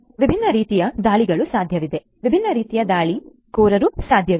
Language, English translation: Kannada, So, there are different types of attacks that are possible; different types of attackers that would be possible